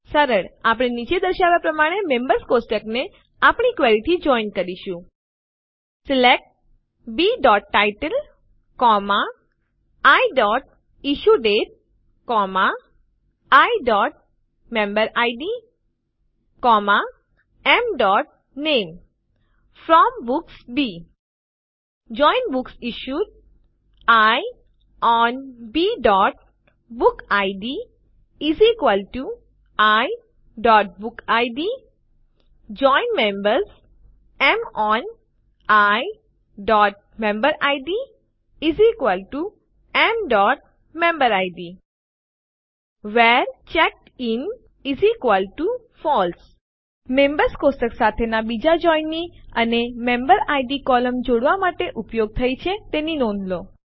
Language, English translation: Gujarati, Simple we JOIN the members table to our query as follows: SELECT B.Title, I.IssueDate, I.MemberId, M.Name FROM Books B JOIN BooksIssued I ON B.BookId = I.BookId JOIN Members M ON I.MemberId = M.MemberId WHERE CheckedIn = FALSE So notice the second join with the Members table and the MemberId column used for joining